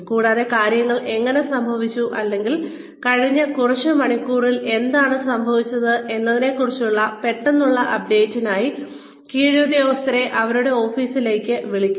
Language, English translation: Malayalam, And, call subordinates to their office, for a quick update on, how things have happened, or what has happened in the past several hours